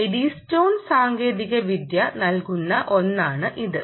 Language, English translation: Malayalam, ok, so that is something that eddystone technology provides